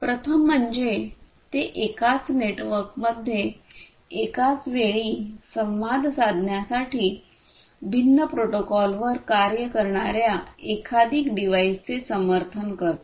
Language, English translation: Marathi, The first one is that it supports multiple devices working on different protocols to interact in a single network simultaneously